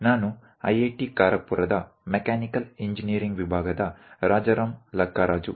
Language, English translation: Kannada, I am Rajaram Lakkaraju from Department of Mechanical Engineering, IIT Kharagpur